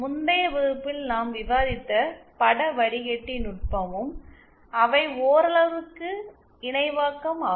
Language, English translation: Tamil, The image filter technique that we are discussed in the previous class they are also to some extent synthesis